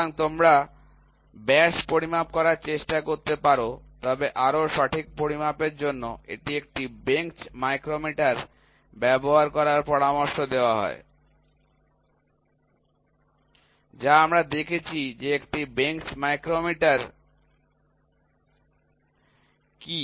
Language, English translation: Bengali, So, that you can try to measure the diameter; however, for a more precise measurement it is recommended to use a bench micrometer, which we saw what is a bench micrometer